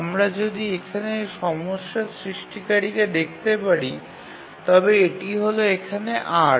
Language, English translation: Bengali, If you can see the major culprit here is this 8 here